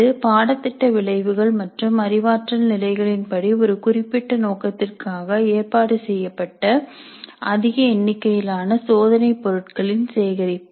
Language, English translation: Tamil, It is a collection of a large number of test items organized for a specific purpose according to the course outcomes and cognitive levels